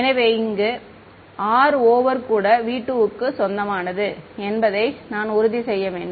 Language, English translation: Tamil, So, I have to make sure that r over here also belong to v 2